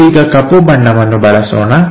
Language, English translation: Kannada, So, let us use a black